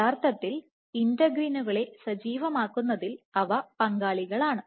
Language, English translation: Malayalam, And they are actually involved in activating integrins